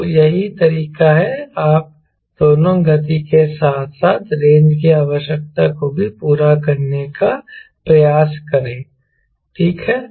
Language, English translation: Hindi, so that's way you try to satisfy both the speed as well as the range requirement, right